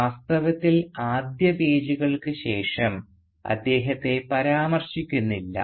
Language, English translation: Malayalam, In fact he is hardly mentioned after these for first pages